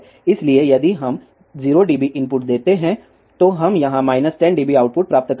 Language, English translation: Hindi, So, if we give 0 dB input, here we will get minus 10 dB output here